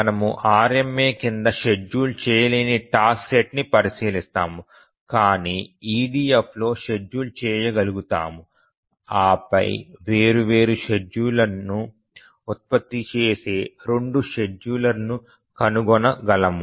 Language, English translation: Telugu, So we will consider a task set on schedulable under RMA but schedulable in EDF and then of course we can find the two schedulers produce different schedules